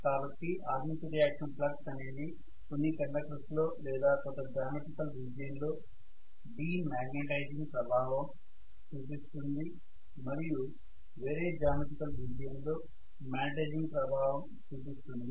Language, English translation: Telugu, If you may recall so the armature reaction flux is going to cause de magnetizing effect in some of the conductors or some of the geometrical region and magnetizing effect in some of the geometrical region